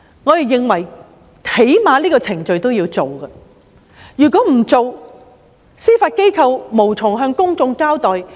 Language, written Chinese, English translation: Cantonese, 我們認為最低限度要有這個程序，否則，司法機構便無從向公眾交代。, We think that at least this procedure is required otherwise the Judiciary cannot be accountable to the public